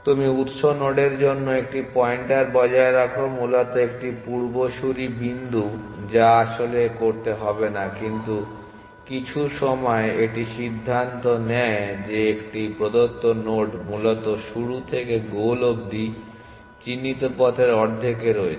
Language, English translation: Bengali, You maintain a pointer to the source node essentially an ancestor point know which do not really have to, but at some point it decides that a given node is at the half way marked from the start to the goal essentially